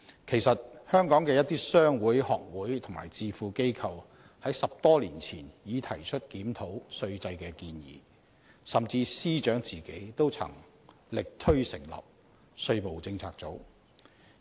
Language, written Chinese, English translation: Cantonese, 其實，香港的一些商會、學會及智庫等機構在10多年前已提出檢討稅制的建議，甚至司長都曾力推成立"稅務政策組"。, In fact certain trade unions societies think tanks and so on in Hong Kong already proposed more than a decade ago that the tax regime of Hong Kong should be reviewed . Even the Secretary used to advocate the setting up of a tax policy unit